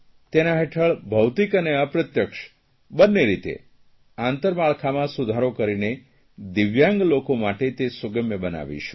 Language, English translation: Gujarati, Under this campaign we will improve both the physical and virtual infrastructure and make it accessible for the 'Divyang' people